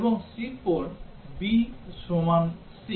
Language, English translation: Bengali, And C 4, b is equal to c